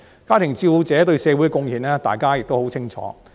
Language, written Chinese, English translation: Cantonese, 家庭照顧者對社會的貢獻，大家亦很清楚。, Members should be clear about the social contribution of homemakers